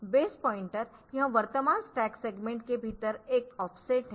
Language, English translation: Hindi, So, this is an offset within the current stack segment